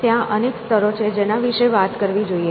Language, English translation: Gujarati, So, there have been layers and layers that one has to talk about